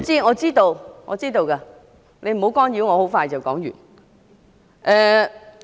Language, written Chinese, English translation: Cantonese, 我知道，你不要干擾我，我很快就會說完。, I know . Please do not interrupt me . I will finish soon